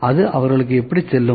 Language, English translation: Tamil, How does it go to them